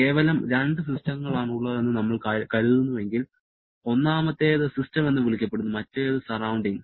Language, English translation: Malayalam, If we consider to have just two systems, one is that so called system, other is the surrounding